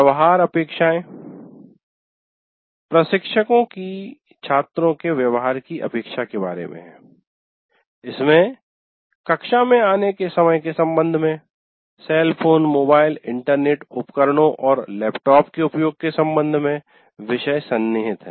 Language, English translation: Hindi, And behavior expectations, instructors expectations of students' behavior with regard to the timing of coming into the class, usage of cell phone, mobile internet devices, laptops, etc